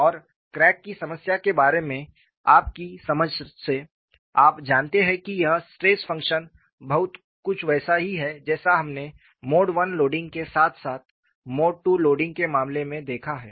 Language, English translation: Hindi, And from your understanding of the crack problem, you know this stress function is very similar to what we have seen in the case of mode 1 loading as well as mode 2 loading